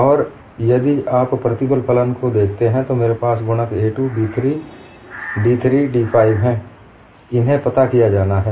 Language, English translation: Hindi, And if you look at the stress function, I have the coefficients a 2, b 3, d 3, d 5, these have to be determined